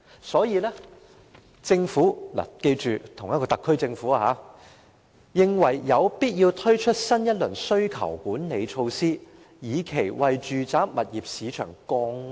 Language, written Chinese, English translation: Cantonese, 所以，政府——請記得這是同一個特區政府——認為有必要推出新一輪需求管理措施，以期為住宅物業市場降溫。, Therefore the Government―please bear in mind it is the same SAR Government―considered it necessary to introduce a new round of demand management measure to cool down the residential property market